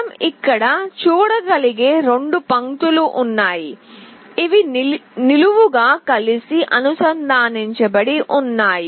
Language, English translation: Telugu, There are 2 lines we can see here, these are vertically connected together